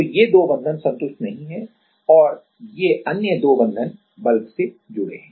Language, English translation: Hindi, So, these 2 bonds are not satisfied and another 2 bond are connected to the bulk